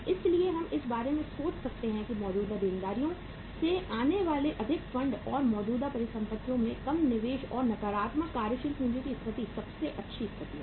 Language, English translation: Hindi, So uh we can think about that more funds coming from the current liabilities and lesser investment in the current assets and having the situation of the negative working capital is the best situation